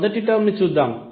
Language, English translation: Telugu, Let us see the first term